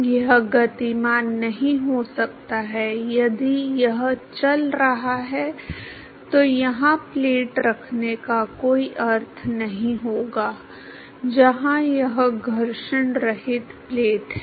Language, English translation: Hindi, It cannot be cannot be moving, if it is moving then there will no meaning to have a plate here where which means it is a friction less plate